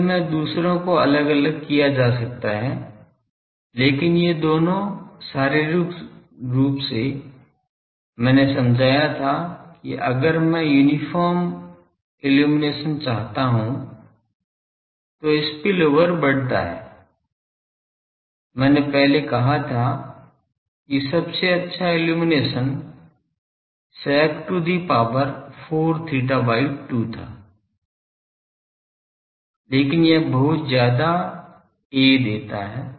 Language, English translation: Hindi, Actually, the others can be separately done, but these two are as physically I explained that if I want to have an uniform illumination then spillover increases, that I said earlier that the of best possible illumination was that sec to the power 4 theta by 2, but that gives lot of a